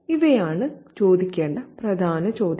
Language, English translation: Malayalam, So, that's an important question to ask